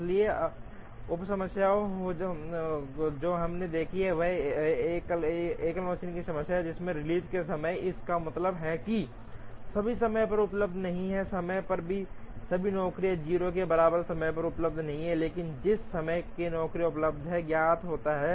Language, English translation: Hindi, So, the sub problem that we will look at is a single machine problem with release times, it means all time are not available at time all jobs are not available at time equal to 0, but the times in which the jobs are available is known